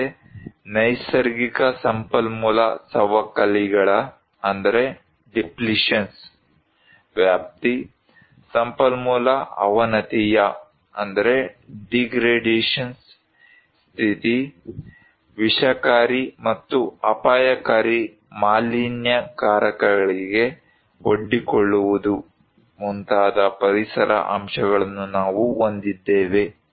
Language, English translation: Kannada, Also, we have environmental factors like the extent of natural resource depletions, the state of resource degradations, exposure to toxic and hazardous pollutants